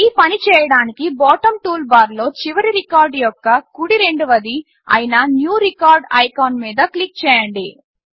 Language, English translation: Telugu, To do this, click on the New Record icon, that is second right of the Last record icon in the bottom toolbar